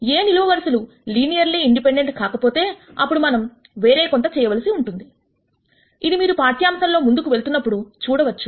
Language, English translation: Telugu, If the columns of A are not linearly independent, then we have to do something else which you will see as we go through this lecture